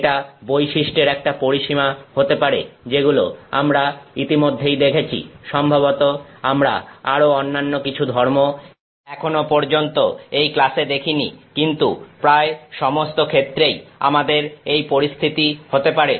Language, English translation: Bengali, It could be a range of properties that we have already seen, some other property that we have probably not looked at in this class so far, but almost always we have this situation